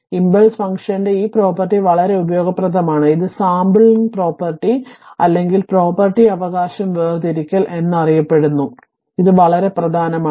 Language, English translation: Malayalam, This property of the impulse function is very useful and known as the sampling property or sifting property right; so, this is this is very important